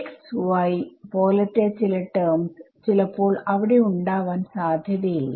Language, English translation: Malayalam, Some terms may not be there like x y term may not be there and so on ok